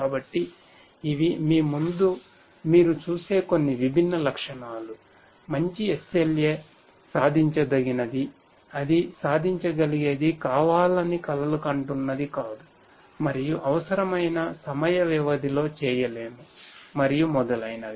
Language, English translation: Telugu, So, these are some of the different characteristics that you see in front of you, a good SLA should be achievable something that can be achieved not something that is a dream and so on which cannot be done in within the required span of time and so on